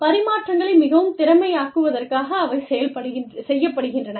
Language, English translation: Tamil, And, they are incurred, in order to make exchanges, more efficient